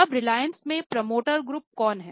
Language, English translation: Hindi, Now, who are the promoter groups in Reliance